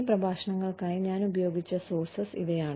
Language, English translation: Malayalam, These are the sources, that I have used for these lectures